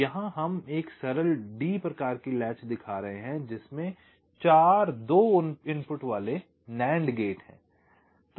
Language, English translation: Hindi, so here we are showing a simple d type latch consists of four to input nand gates